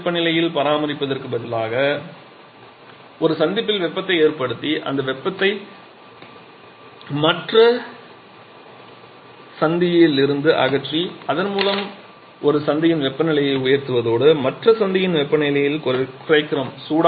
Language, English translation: Tamil, So, instead of maintaining at same separate temperatures we actually heat one of the junctions and remove that heat from the other Junction thereby raising the temperature of one Junction and reducing the temperature of the other Junction